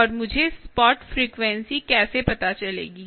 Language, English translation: Hindi, and how do i find out this spot frequency